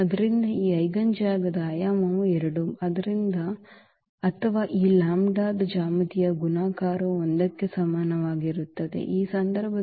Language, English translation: Kannada, So, the dimension of this eigen space is 2 or the geometric multiplicity of this lambda is equal to 1 is 2, in this case